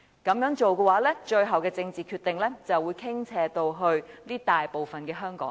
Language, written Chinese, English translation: Cantonese, 如此一來，最後的政治決定就會傾斜到該大部分的香港人。, In that case the final political decision will be tilted to the vast majority of Hong Kong people